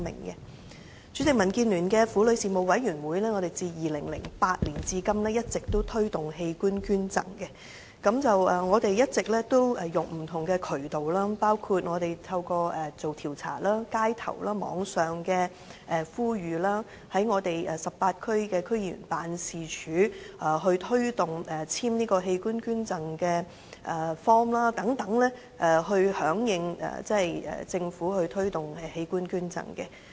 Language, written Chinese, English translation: Cantonese, 代理主席，民建聯的婦女事務委員會，自2008年至今一直推動器官捐贈，我們一直透過不同渠道，包括進行街頭調查及網上呼籲，在我們18區區議員辦事處推動簽署器官捐贈卡等，藉此響應政府推動的器官捐贈。, Deputy President the Women Affairs Committee of the Democratic Alliance for the Betterment and Progress of Hong Kong DAB has been promoting organ donation since 2008 . In order to echo the organ donation efforts of the Government we have made use of different channels including on - street surveys Internet promotion and through District Council members offices in 18 districts to appeal to the public to sign organ donation cards